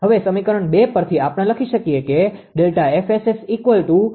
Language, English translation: Gujarati, So, this is equation 1, right